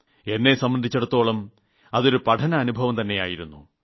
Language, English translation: Malayalam, In a way, It was a kind of a learning experience too for me